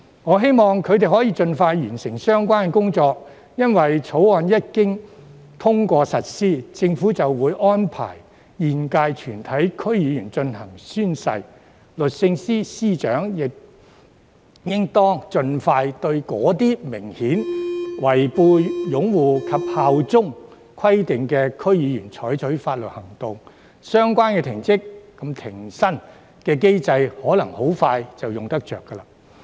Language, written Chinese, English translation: Cantonese, 我希望他們可以盡快完成相關工作，因為《條例草案》一經通過實施，政府便會安排現屆全體區議員進行宣誓，律政司司長亦應當盡快對一些明顯違背擁護及效忠規定的區議員採取法律行動，相關停職及停薪機制很可能很快便派用場。, I hope that they can complete the relevant work as soon as possible . The reason is that upon the passage of the Bill the Government will make arrangements for all DC members to take the oath . SJ should also expeditiously bring legal proceedings against DC members who have apparently failed to fulfil the requirements of upholding the Basic Law and bearing allegiance to HKSAR